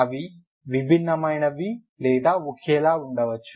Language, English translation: Telugu, They are same or they are distinct or same can be same